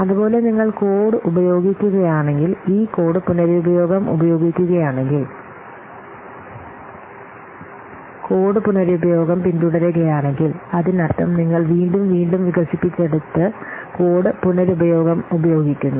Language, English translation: Malayalam, Similarly, if you are using code, if you are what are using this code reusing, if you are following code reusing, that means you have developed one and again and again you are using